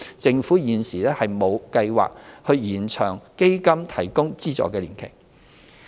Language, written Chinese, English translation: Cantonese, 政府現時亦沒有計劃延長基金提供資助的年期。, Currently the Government has no plans to extend the funding period